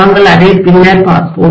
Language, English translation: Tamil, We will be looking at it later